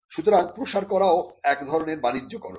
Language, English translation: Bengali, So, dissemination is also commercialization